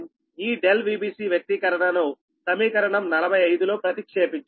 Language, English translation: Telugu, this delta v b c expression you substitute here in equation forty five